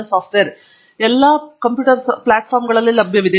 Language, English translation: Kannada, ItÕs available on all platforms